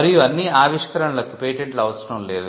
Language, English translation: Telugu, And not all inventions need patents as well